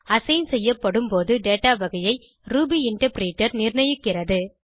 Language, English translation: Tamil, Ruby interpreter determines the data type at the time of assignment